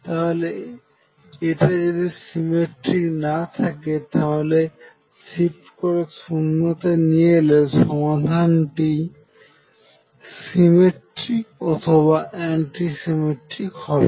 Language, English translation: Bengali, If it is not symmetric see if you shift it towards 0 and make it symmetric then I know that the solution is either symmetric or it is anti symmetric